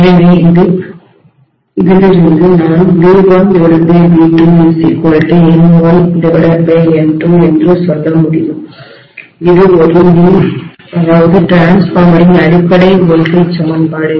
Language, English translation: Tamil, So from which I should be able to say V1 by V2 is equal to N1 by N2 which is the basic voltage equation of a transformer, right